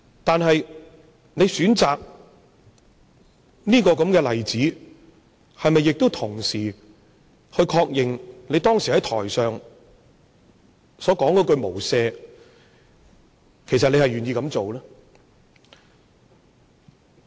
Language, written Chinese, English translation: Cantonese, 但是，他選擇這個例子，是否同時確認，他其實願意做出當時在台上所說的"無赦"？, Yet in choosing this example has he confirmed at the same time that he is in fact willing to act without mercy as chanted on stage then?